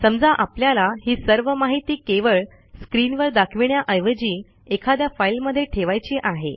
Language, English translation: Marathi, Instead of just displaying all these information on the screen, we may store it in a file